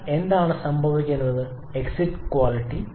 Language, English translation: Malayalam, But what is happening to the exit quality